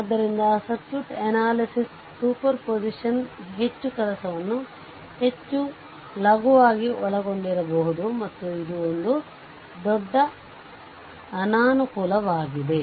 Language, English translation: Kannada, So, circuit analysis superposition may very lightly involved more work and this is a major disadvantage